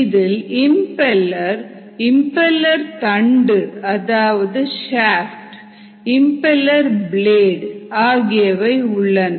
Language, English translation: Tamil, this is the impeller and this is ah impeller shaft, impeller blades